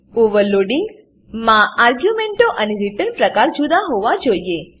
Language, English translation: Gujarati, In overloading the arguments and the return type must differ